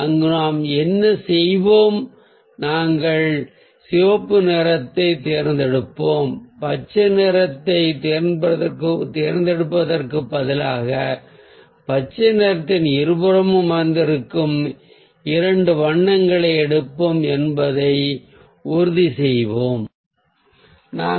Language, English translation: Tamil, so there what we will do is, ah, we will choose red and instead of choosing green, we will make sure that we'll take two other colours which is sitting at the either side of the greens